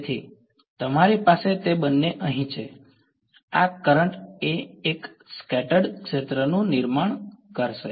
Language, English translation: Gujarati, So, you have both of them over here, this current in turn is going to produce a scattered field